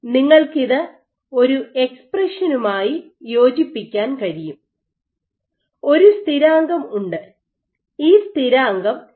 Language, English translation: Malayalam, So, you can fit it with an expression, so you have a constant this constant is equivalent to this value here this constant and you have this kind of a profile